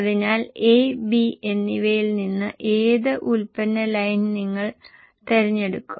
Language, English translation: Malayalam, So out of A and B, which product line will you choose